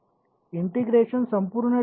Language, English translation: Marathi, The integration is the whole domain